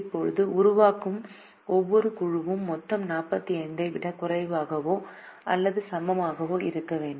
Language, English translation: Tamil, now, group that is formed should have a total less than or equal to forty five